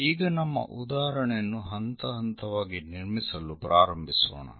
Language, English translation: Kannada, So, let us begin our example construct it step by step